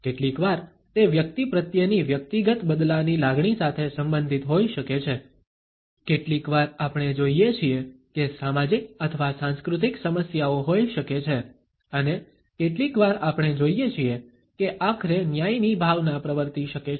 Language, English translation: Gujarati, Sometimes it may be related with a personals feeling of vendetta towards an individual, sometimes we find that there may be social or cultural issues and sometimes we may find that there may be a sense of justice prevailing ultimately